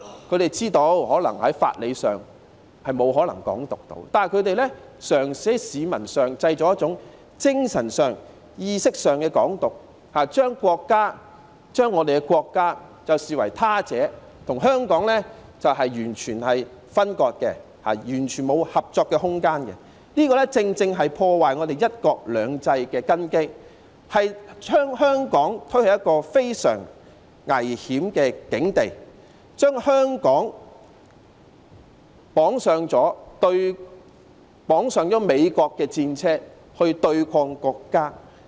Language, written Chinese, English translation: Cantonese, 他們知道在法理上沒有可能"港獨"，但他們嘗試在市民之間製造精神上、意識上的"港獨"，將國家視為他者，與香港完全分割，完全沒有合作的空間，這正正是破壞"一國兩制"的根基，將香港推向非常危險的境地，將香港綁上美國的戰車來對抗國家。, They seek to put Hong Kong and the State in diametrically opposing positions adding fuel to the flames . Knowing that Hong Kong independence is impossible by all principles of law they tried to create among the public a spirit or an awareness of Hong Kong independence cultivating a sense of alienation from the country and promoting complete severance of Hong Kong from the country leaving no room at all for cooperation . This has precisely damaged the foundation of one country two systems pushing Hong Kong into a most perilous situation and tying Hong Kong onto the chariot of the United States in fighting against the country